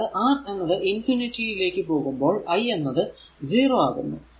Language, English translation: Malayalam, So, that means, when I R tends to infinity limit b by R will be 0, right